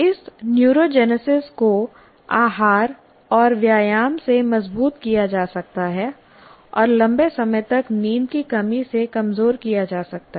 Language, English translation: Hindi, This neurogenesis can be strengthened by diet and exercise and weakened by prolonged sleep loss